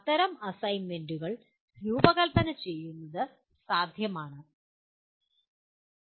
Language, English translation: Malayalam, It is possible to design such assignments